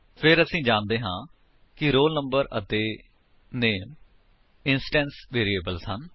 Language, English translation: Punjabi, Then the only roll number and name we know, are the instance variables